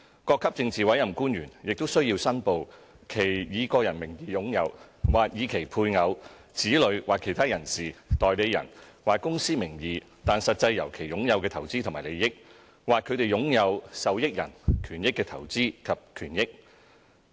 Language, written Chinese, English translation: Cantonese, 各級政治委任官員也須申報其以個人名義擁有；或以其配偶、子女或其他人士、代理人或公司名義但實際由其擁有的投資和利益；或他們擁有受益人權益的投資及權益。, They are also required to declare any investment and interest held by themselves or in the name of their spouses children or other persons agents or companies but are actually acquired on their account or in which they have a beneficial interest